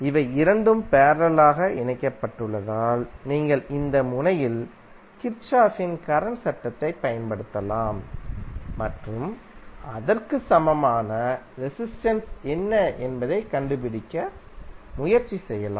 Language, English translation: Tamil, Since these two are connected in parallel, you can use the Kirchhoff’s current law at this node and try to find out what is the equivalent resistance